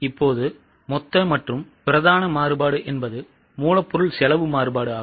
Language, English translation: Tamil, Now, the total variance, the main variance is a material cost variance